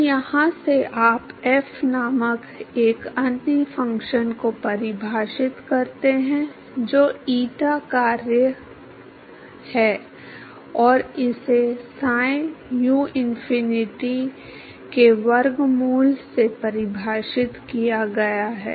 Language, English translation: Hindi, So, from here you define another function called f, which is the function of eta, and that is defined as psi uinfinity into square root of